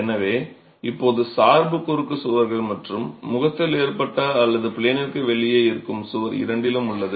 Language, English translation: Tamil, So, the dependence now is on both cross walls and the wall that is face loaded or out of plane